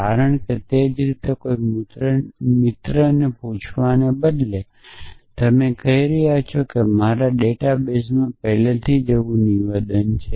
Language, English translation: Gujarati, that is how will instead of asking in a friend you are saying that is there a statement like that in my database already